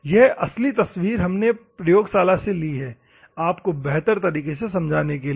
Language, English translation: Hindi, This is the practically taken picture from our laboratory for a good explanation for your purpose